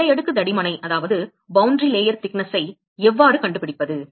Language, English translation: Tamil, How we find the boundary layer thickness